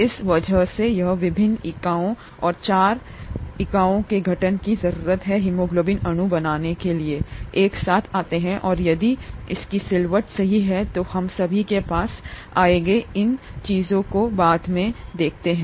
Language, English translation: Hindi, And because of this it forms various units and four units need to come together to form haemoglobin molecule and if its folds correctly, weÕll come to all these things later, the folding and so on